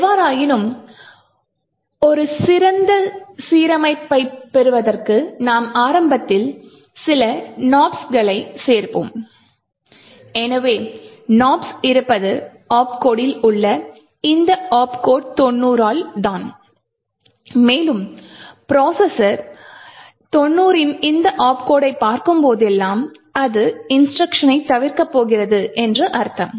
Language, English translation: Tamil, However, to get a better alignment what we do is we add some Nops initially so the Nops is present by this opcode is given by this opcode 90 and whenever the processor sees this opcode of 90 it is just going to skip the instruction to nothing in that instruction